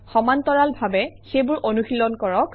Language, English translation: Assamese, Practice them in parallel